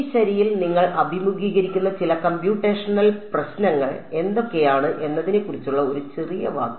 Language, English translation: Malayalam, And a little bit a small word about what are the some of the computational issues that you will face in this ok